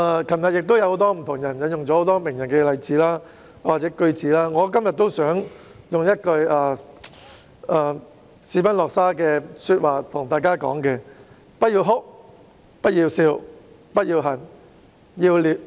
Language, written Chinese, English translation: Cantonese, 昨天有很多議員引用了名人的例子或名言，我今天亦想引用斯賓諾沙的一句說話︰"不要哭、不要笑、不要恨、要理解"。, Yesterday many Members cited the examples of or famous quotes by some celebrities . Today I also wish to quote a line of Benedict de SPINOZA Not to laugh not to lament not to detest but to understand